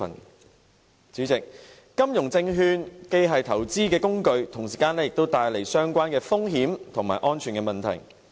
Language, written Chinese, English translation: Cantonese, 代理主席，金融證券既是投資工具，同時也帶來相關風險和安全問題。, Deputy President securities trading in the financial market is both an investment tool and something that brings risks and safety problems